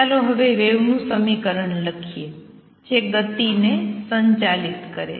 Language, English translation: Gujarati, So now let us write the equation wave equation that governs the motion